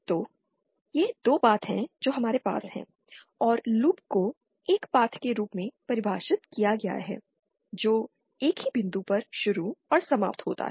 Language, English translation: Hindi, So, these are the 2 paths that we have and in the loop is defined as a, as a path which starts and ends at the same point